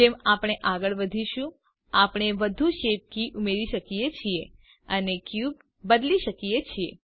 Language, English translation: Gujarati, We can keep adding more shape keys and modifying the cube as we go